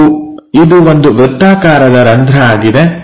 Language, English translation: Kannada, And this is a circular hole